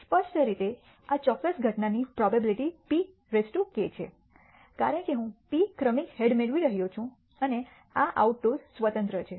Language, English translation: Gujarati, Clearly the probability of this particular event is p power k, because I am getting p successive heads and these out tosses are independent